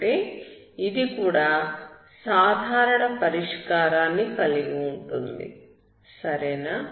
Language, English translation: Telugu, That means it will also have a general solution